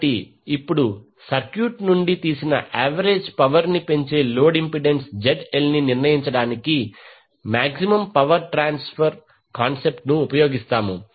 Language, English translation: Telugu, So, now we will use the maximum power transfer concept to determine the load impedance ZL that maximizes the average power drawn from the circuit